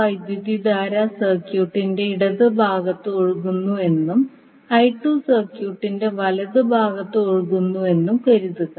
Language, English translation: Malayalam, Let us assume that the current I 1 is flowing in the left part of the circuit and I 2 is flowing in the right one of the circuit